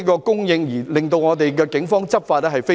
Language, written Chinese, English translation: Cantonese, 供應正常，令警方能夠順利執法。, If the supply remains normal it can facilitate the Polices enforcement actions